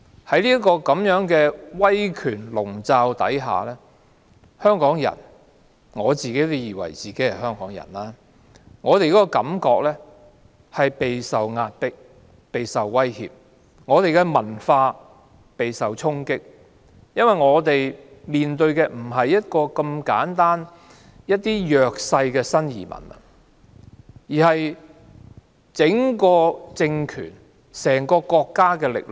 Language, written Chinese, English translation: Cantonese, 在這樣的威權籠罩之下，香港人——我自以為是香港人——感到備受壓迫及威脅；本港的文化備受衝擊，因為我們面對的不是簡單的弱勢新移民，而是整個政權、整個國家的力量。, Under this autocracy Hong Kong people I regard myself as a Hongkonger feel oppressed and threatened and the cultures in Hong Kong are under threat . It is because we are not only facing the vulnerable immigrants from the Mainland but also the power of the regime or the whole country . Our Cantonese language may be forced to disappear; and no effort is made to control the 70 - odd million tourists who have completely messed up our community life